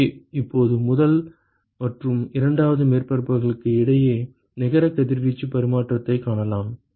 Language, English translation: Tamil, So, now we can find the net radiation exchange between the first and the second surface